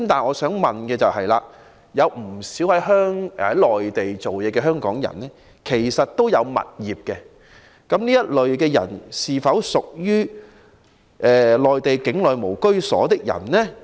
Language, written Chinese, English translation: Cantonese, 我想問，不少在內地工作的香港人擁有物業，這些人是否屬於在內地境內無住所，他們是否獲得豁免？, As many Hong Kong people working in the Mainland own properties are they regarded as having no domicile in the Mainland and hence can enjoy the exemption?